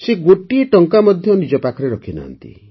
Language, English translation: Odia, He did not keep even a single rupee with himself